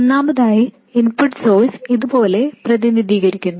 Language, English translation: Malayalam, First of all, the input source is represented like this